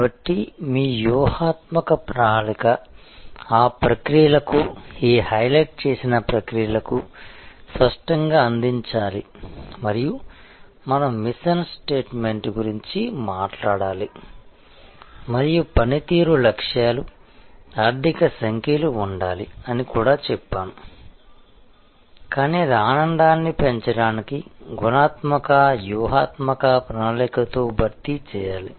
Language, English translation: Telugu, So, your strategy plan must clearly provide for those processes, these highlighted processes and we talked about mission statement and we also said, that there has to be performance objectives, financial numbers, but that must be compensated with qualitative strategic plans for enhancing the delight of the current customers and co opting them for future customers